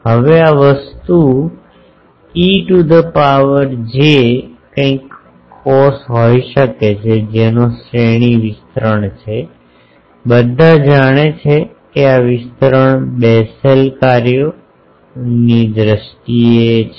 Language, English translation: Gujarati, Now, this thing e to the power j something cos that can be, that has a series expansion, anyone knows that this expansion is in terms of Bessel functions